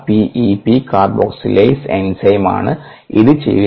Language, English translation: Malayalam, this is the p e, p carboxylase enzyme that is doing this